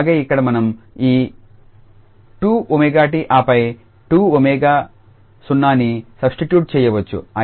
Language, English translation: Telugu, And similarly here we can substitute this 2 omega t and then 2 omega 0